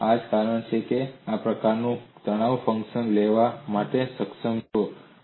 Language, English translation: Gujarati, So that is the reason, why you are able to take that kind of a stress function